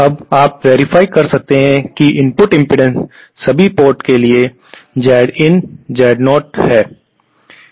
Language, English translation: Hindi, Now you can verify that the input impedance is Zin Z0 for all the ports